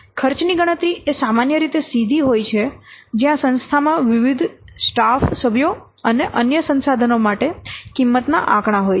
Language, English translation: Gujarati, Calculating the cost is normally straightforward where the organization has standard cost figures for different staff members and other resources